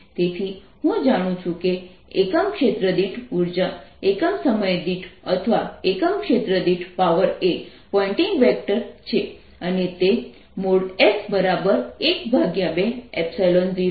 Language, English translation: Gujarati, so i know that the energy per unit area, per unit time or power per unit area is the pointing vector and its magnitude is equal to one half epsilon zero